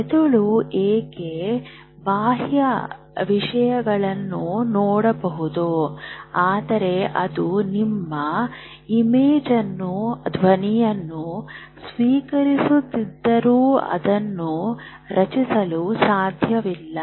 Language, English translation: Kannada, Why is it that the brain can see external things in the full imagery but it cannot create your image although it is receiving sound